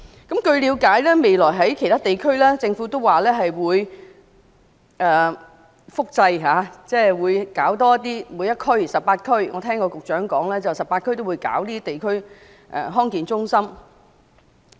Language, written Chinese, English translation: Cantonese, 據了解，政府表示未來會在其他地區、每一區複製地區康健中心，我聽到局長也是說會在全港18區設立地區康健中心。, It is understood that the Government is going to replicate the DHC in every other district in the future . I have also heard the Secretary mentioned that DHCs would be set up in the 18 districts throughout Hong Kong